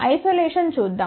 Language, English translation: Telugu, Let us see for isolation